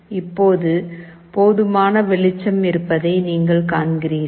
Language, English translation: Tamil, You see now there is sufficient light